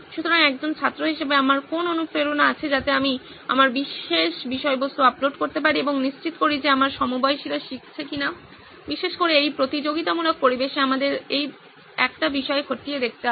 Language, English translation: Bengali, So what motivation do I have as a student to go in and upload my particular content and ensure that my peers are learning, especially in this competitive environment that is one thing we have to look at